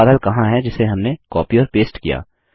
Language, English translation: Hindi, Where is the cloud that we copied and pasted